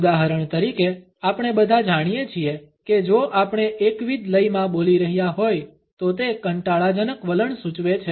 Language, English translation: Gujarati, For example all of us know that if we are speaking in a monotonous stone, it suggests a board attitude